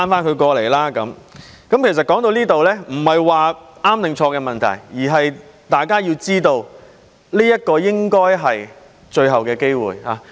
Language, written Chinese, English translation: Cantonese, 說到這裏，其實已不是對與錯的問題，而是大家都知道這應是最後機會。, At this point it is no longer a matter of right or wrong and we all know that this should be the last chance